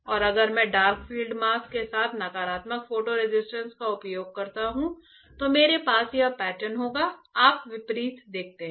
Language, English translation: Hindi, And if I use negative photo resist with dark field mask, I will have this pattern; you see opposite